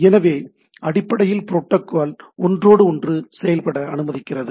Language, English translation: Tamil, So, protocol basically allows us to inter operate right